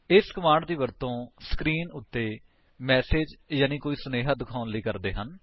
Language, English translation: Punjabi, This command is used to display some message on the screen